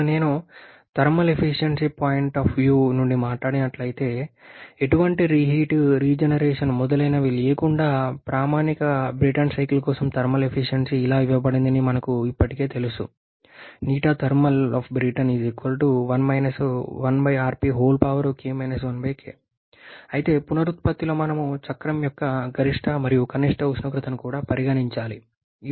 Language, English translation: Telugu, Now if I talk about from the thermal efficiency point of view, we already know that the thermal efficiency for a standard Brayton cycle without any reheat generation etc is given as 1 1 upon rp to the power k 1 upon k